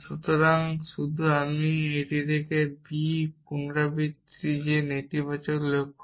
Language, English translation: Bengali, So, just I repeat from on a b and that negated goals